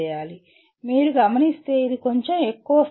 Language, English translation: Telugu, As you can see this is slightly higher level